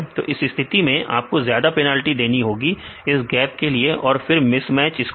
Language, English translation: Hindi, In this case you have to give more penalty to the gaps then the mismatch score